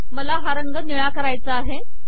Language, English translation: Marathi, I want to make this alerted color blue